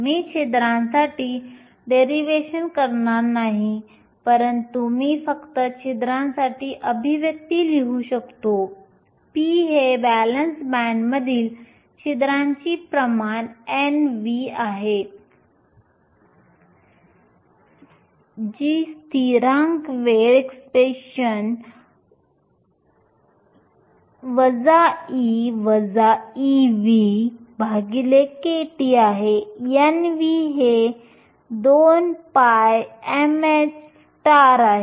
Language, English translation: Marathi, I won’t not do the derivation for holes, but I will just write down the expression for holes, p which is the concentration of holes in the valence band is n v, which is a constant times exponential minus e f minus e v over kT, n v is 2 phi m h star